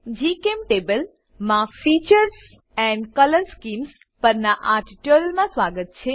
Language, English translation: Gujarati, Hello everyone.Welcome to this tutorial on Features and Color Schemes in GChemTable